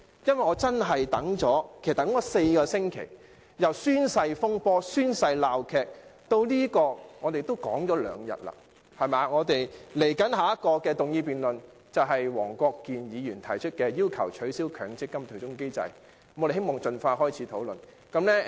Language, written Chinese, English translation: Cantonese, 因為我真的等了4個星期，由宣誓風波/鬧劇至這項議案，我們也討論了兩天，接下來的議案辯論是由黃國健議員提出的"取消強制性公積金對沖機制"，我們希望能盡快開始討論。, Because I have been waiting for four weeks since the commencement of the oath incidentsaga to the motion which we have discussed for two days . The next motion is moved by Mr WONG Kwok - kin on Abolishing the Mandatory Provident Fund offsetting mechanism . We hope that we can commence the discussion of that as soon as possible